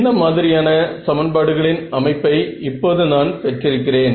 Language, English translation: Tamil, So, what kind of a sort of system of equations have I got now